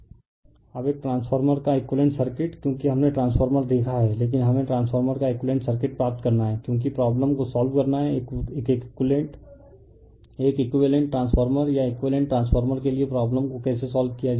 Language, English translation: Hindi, Now, equivalent circuit of a transformer because we have seen transformer, but we have to obtain the equivalent circuit of transformer because you have to solve problem how to solve the problem for an equivalent transformer or a equivalent transformer